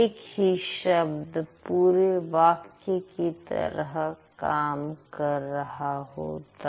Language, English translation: Hindi, Sometimes only one word can also make a sentence